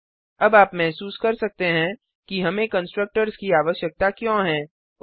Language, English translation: Hindi, Now you might feel why do we need constructors